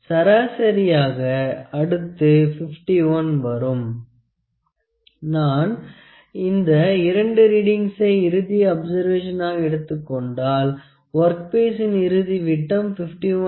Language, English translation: Tamil, So, that average will send the next reading if it comes 51 point; if I take only these two readings as my final observations, the final dia of this work piece would be 51